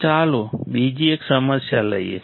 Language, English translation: Gujarati, Then let us do one more problem